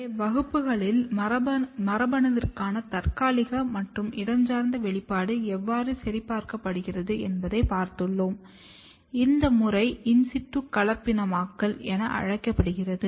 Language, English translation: Tamil, So, in the lecture you have seen how the temporal and spatial expression for gene is checked, the method is called as in situ hybridization